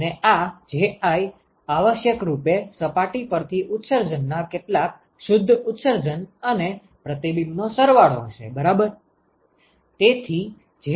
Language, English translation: Gujarati, And this Ji would essentially be sum of the net emission some of the emission from the surface plus the reflection right